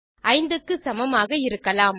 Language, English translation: Tamil, It can be equal to 5, however